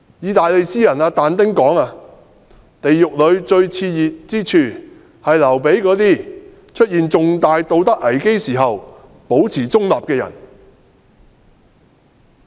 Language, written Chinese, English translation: Cantonese, 意大利詩人但丁說，地獄裏最熾熱之處，是留給那些出現重大道德危機時保持中立的人。, The Italian poet DANTE said that the hottest spot in hell is reserved for those who maintain a neutral stance in the face of a big moral crisis